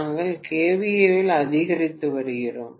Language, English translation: Tamil, So I am going to have the kVA rating to be 2